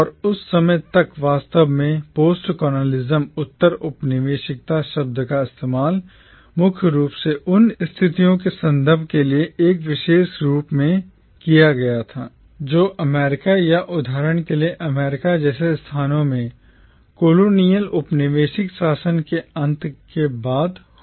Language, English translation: Hindi, And till that time in fact, the word postcolonialism was primarily used as an adjective to refer to conditions or situations which occurred or existed after the end of colonial rule in places like America for instance or India